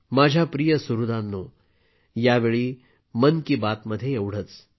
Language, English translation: Marathi, My dear family members, that's all this time in 'Mann Ki Baat'